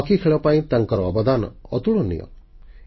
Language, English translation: Odia, His contribution to hockey was unparalleled